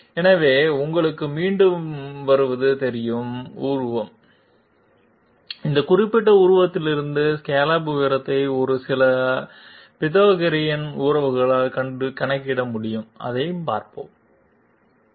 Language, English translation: Tamil, So coming back to the you know figure, this from this particular figure it is possible to calculate the scallop height by a few Pythagorean relationships let s see that